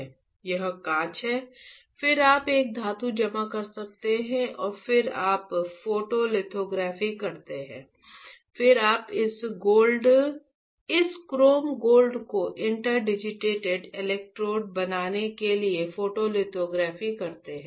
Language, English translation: Hindi, This is glass then you deposit a metal and then you perform photolithography, then you perform photolithography to pattern this chrome gold to form interdigitated electrodes right